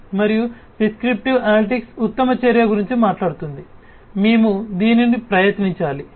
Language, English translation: Telugu, And prescriptive analytics talks about what is the best action, should we try this and so on